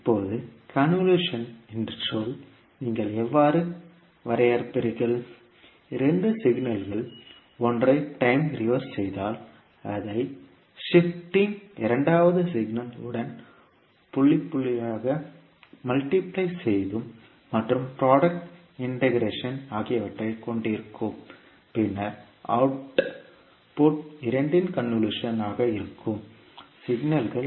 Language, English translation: Tamil, Now the term convolution, how you will define, the two signals which consists of time reversing of one of the signals, shifting it and multiplying it point by point with the second signal then and integrating the product then the output would be the convolution of two signals